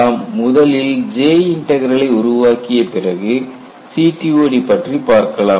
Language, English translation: Tamil, And we will first develop J Integral, then, get back to CTOD